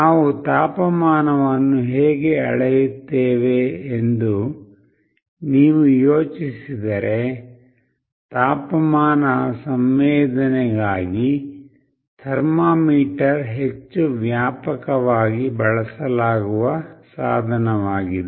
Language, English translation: Kannada, If you think of how we measure temperature, thermometer is the most widely used instrument for temperature sensing